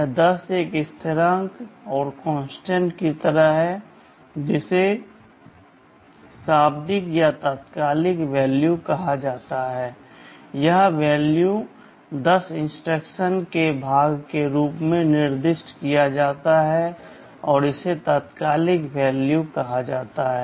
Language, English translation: Hindi, That 10 is like a constant that is called a literal or an immediate value, that value 10 is specified as part of the instruction and is called immediate operand